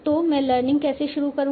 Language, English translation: Hindi, So how will I start learning